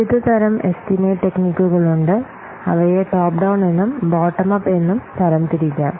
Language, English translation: Malayalam, Though there are many techniques of estimation they can be broadly classified into top down and bottom up